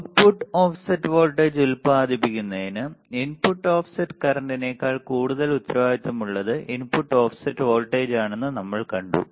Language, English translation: Malayalam, We have seen that that it is the input offset voltage which is more responsible for producing the output offset voltage rather than the input bias current right